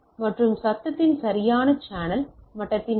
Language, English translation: Tamil, And quality of the channel level of noise right